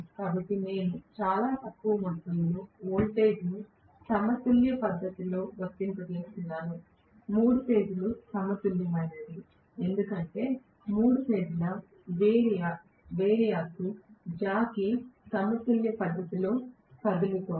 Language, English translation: Telugu, So, I am applying very very small amount of voltage in a balanced manner, all three phases are balanced, because the three phase variac jockey is moving, you know, in a balanced manner